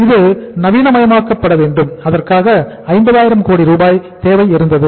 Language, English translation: Tamil, It has to be modernized and for that there was a requirement of the 50,000 crores